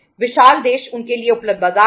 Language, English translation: Hindi, Huge country was the market available to them